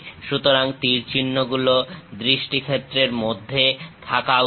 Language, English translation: Bengali, So, arrows should be in the line of sight